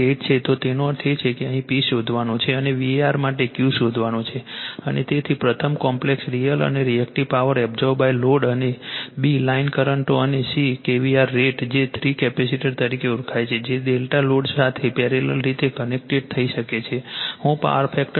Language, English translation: Gujarati, 8 ; that means, here you have to find out P and for the V A r you have to find out the Q right , and therefore, you have to determine , first one , the complex, real and reactive power absorbed by the load , and b) the line currents and c) the kVAr rate you have the your what you call three capacitors, which are , can delta connect in parallel with load right that, I will show you to raise the power factor to 0